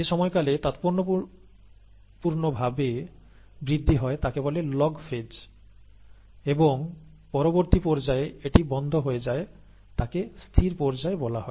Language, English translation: Bengali, The period where there is a significant increase is called the ‘log phase’, and the later phase where it tapers off is called the ‘stationary phase’